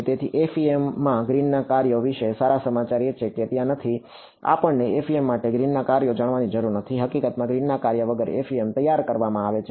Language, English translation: Gujarati, So, the good news about Green’s functions in FEM is that not there, we do not need to know Green’s functions for FEM in fact, FEM is formulated without Green’s function